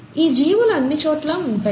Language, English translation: Telugu, The organisms are present everywhere